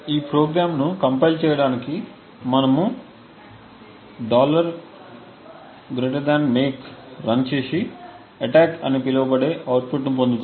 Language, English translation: Telugu, In order to compile this program, we run a make and obtain an output known as attack